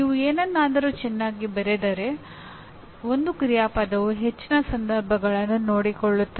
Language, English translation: Kannada, If you write something well, one action verb can take care of most of the situations